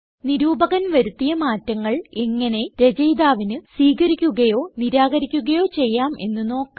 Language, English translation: Malayalam, We will now show how the author can accept or reject changes made by the reviewer